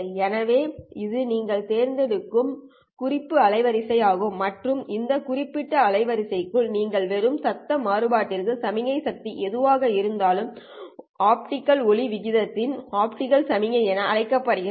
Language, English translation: Tamil, So this is a reference bandwidth that you choose and within this reference bandwidth whatever the signal power to the noise variance that you get is called as the optical signal to noise ratio